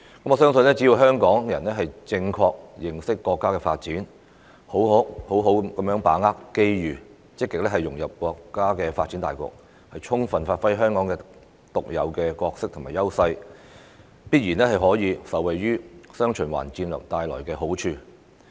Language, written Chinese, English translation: Cantonese, 我相信香港人只要正確認識國家發展，好好把握機遇，並積極融入國家發展大局，充分發揮香港獨有的角色和優勢，必然可以受惠於"雙循環"戰略帶來的好處。, I believe that as long as Hongkongers correctly understand the countrys development properly seize the opportunities and actively integrate into the countrys overall development to give full play to Hong Kongs unique role and advantages we can definitely benefit from the dual circulation strategy